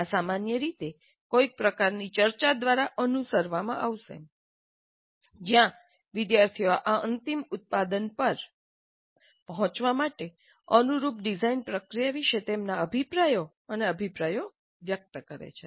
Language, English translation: Gujarati, And this will be usually followed by some kind of a discussion where the students express their comments and opinions about the design process followed to arrive at this final product